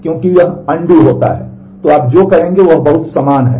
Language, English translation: Hindi, So, what you will do is a very similar